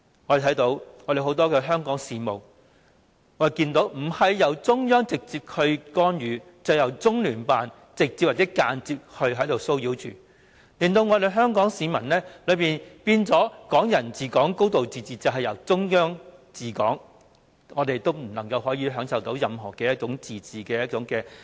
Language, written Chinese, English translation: Cantonese, 我們看見很多香港事務不是由中央政府直接干預，便是由中聯辦直接或間接插手，令香港市民感到"港人治港"、"高度自治"已變成"中央治港"，我們根本無法享受任何自治。, We can observe that in the case of many Hong Kong affairs there was either the direct intervention of the Central Government or the direct or indirect intervention of the Liaison Office of the Central Peoples Government in the Hong Kong SAR . Hong Kong people thus feel that Hong Kong people ruling Hong Kong and a high degree of autonomy have been reduced to the Central Authorities ruling Hong Kong and we simply cannot have any autonomy at all